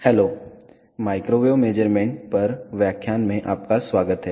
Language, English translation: Hindi, Hello, welcome to the lecture on Microwave Measurements